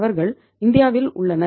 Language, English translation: Tamil, They are in India